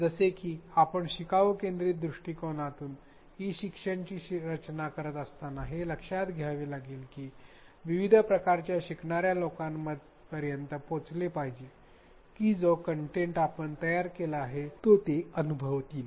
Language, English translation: Marathi, As we design e learning using a learner centric approach some of the recommendations that we have to keep in mind, are one that we should become aware that there may be a diverse range of learners who will be accessing, who will be experiencing the content that we have created